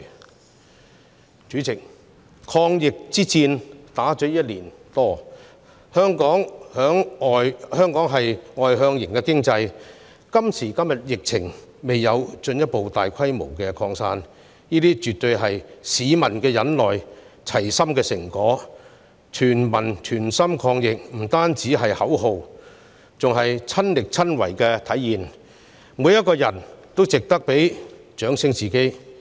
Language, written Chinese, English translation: Cantonese, 代理主席，抗疫之戰已進行了一年多，香港是外向型經濟，但今時今日疫情未有進一步大規模擴散，絕對是市民齊心忍耐的成果："全民全心抗疫"不單是口號，更是親力親為的體現，每個人也值得為自己鼓掌。, That the coronavirus pandemic has not spread further today is definitely the result of the publics concerted efforts and patience given the fact that Hong Kong is an externally oriented economy . Together we fight the virus is not just a slogan but also a manifestation of personal commitment . Each and every one of us deserves our own applause